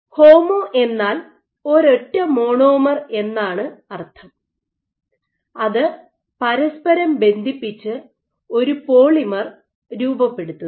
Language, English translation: Malayalam, So, homo refers to generally you have a single monomer which is being cross linked together to form a polymer